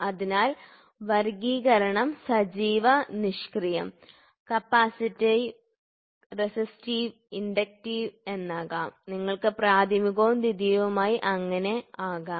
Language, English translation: Malayalam, So, classification active, passive, capacitive, resistive, inductive and then you can also have primary and secondary so on